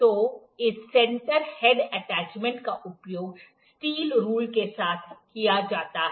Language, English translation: Hindi, So, this center head attachment is used along with the steel rule